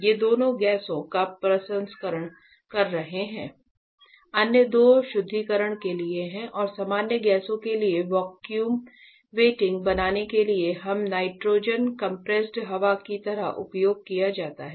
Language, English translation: Hindi, These two are processing gasses; the other two are for the purging and the creating vacuum venting for general gasses that we are that are used like nitrogen compressed air and all